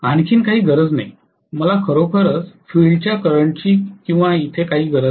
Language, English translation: Marathi, Nothing else is needed, I do not need really the field current or anything here